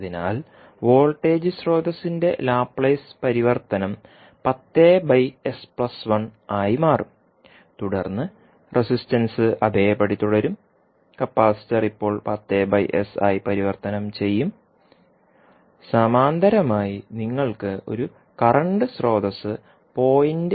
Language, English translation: Malayalam, So, the Laplace transform of the voltage source will become 10 upon s plus 1 and then resistances will remain same, the capacitor now will get converted into the 1 upon sc would be nothing but the 10 by s, and in parallel width you will have one current source having 0